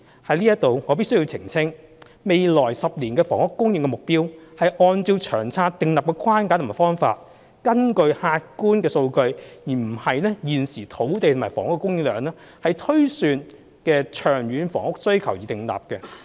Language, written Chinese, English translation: Cantonese, 就此，我必須澄清，未來10年的房屋供應目標是按照《長策》訂立的框架和方法，根據客觀數據——而不是現時的土地及房屋供應量——推算的長遠房屋需求而訂立。, In this connection I must make a clarification that the housing supply targets in the next 10 years are set following the framework and methods formulated in the Long Term Housing Strategy on the basis of the long - term housing demand projection made on objective data instead of the current land and housing supply